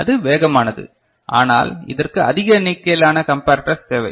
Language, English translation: Tamil, It is fast, but it requires large number of comparators